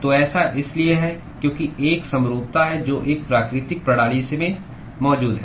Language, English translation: Hindi, So, it is because there is a symmetry which is present in a natural system